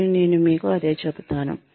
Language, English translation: Telugu, And, i will say the same thing to you